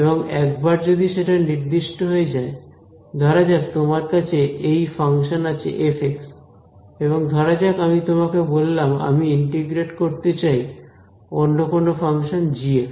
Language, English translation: Bengali, And, once that is specified; now supposing you had this function f of x, now supposing I tell you now I want to integrate some other function g of x